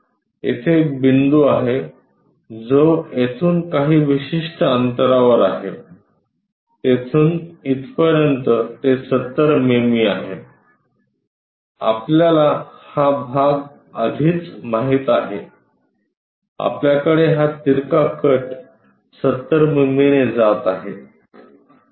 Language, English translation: Marathi, There is a point there which is at certain distance from here to there that is 70 mm, we already know this part we have that incline cut going by 70 mm